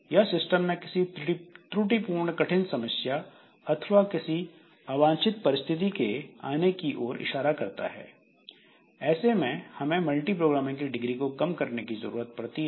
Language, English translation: Hindi, So, that indicates some erroneous or difficult condition that has come in the system, some undesirable situation that has come in the system and there we need to reduce the degree of multi programming